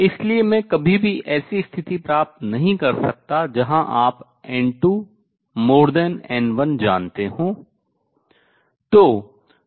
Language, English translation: Hindi, So, I can never achieve a situation where you know n 2 greater than n 1